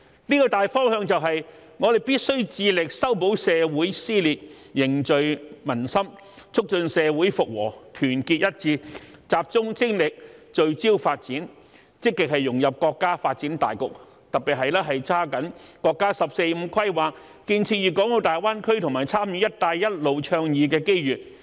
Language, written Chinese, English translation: Cantonese, 這個大方向便是，我們必須致力修補社會撕裂，凝聚民心，促進社會復和，團結一致，集中精力，聚焦發展，積極融入國家發展大局，特別是抓緊國家"十四五"規劃、建設粵港澳大灣區和參與"一帶一路"倡議的機遇。, The general direction is that we must strive to mend the social rift foster social cohesion promote social reconciliation unite the people focus our efforts on development and actively integrate into the overall development of the country especially to seize the opportunities presented by the National 14th Five - Year Plan the development of the Guangdong - Hong Kong - Macao Greater Bay Area and the participation in the Belt and Road initiative